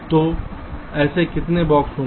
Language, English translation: Hindi, so how many of such boxes will be there